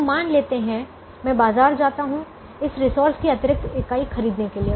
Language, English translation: Hindi, therefore, let's assume i go to the market to buy this extra unit of this resource